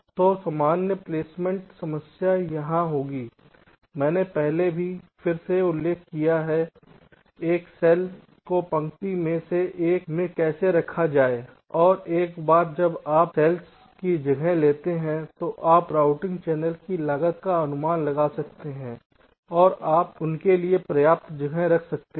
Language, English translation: Hindi, has i mention again earlier how to place a cell into one of the rows and once you are place this cells you can estimates the routing channels cost and you can keep adequate space for that